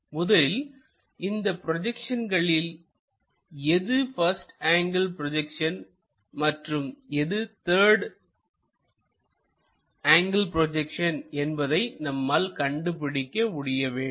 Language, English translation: Tamil, So, from projections first of all we have to recognize which one is 1st angle projection which one is 3rd angle projection